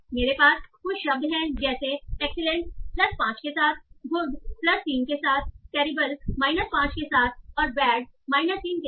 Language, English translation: Hindi, So I have these words like excellent with plus 5, good with plus 3, terrible with minus 5 and bad with minus 3